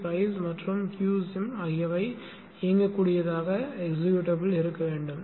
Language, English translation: Tamil, NG sim and Q sim should be made executable